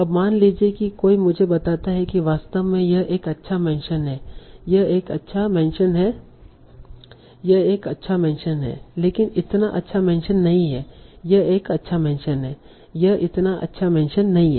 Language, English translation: Hindi, Now suppose someone tells me that actually this is a good mention, this is a good mention, this is a good mention, but this is not so good mention